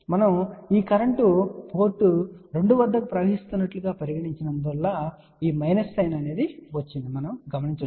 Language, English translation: Telugu, Now, you might see there is a minus sign over here this minus sign is coming because we have taken this current as in coming at port 2